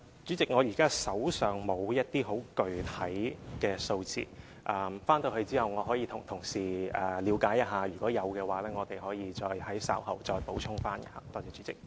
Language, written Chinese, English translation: Cantonese, 主席，現時我手上沒有一些很具體的數字，回去後我可以向同事了解一下，如果有的話，我們可以稍後再補充。, President I do not have the specific figures up my sleeves . I can check with my colleagues when I go back and if there are such figures we can provide them after the meeting